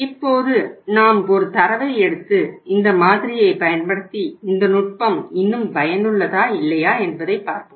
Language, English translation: Tamil, Now let us see we take a data and use this model which we will try to find out here that say whether the technique is still useful or not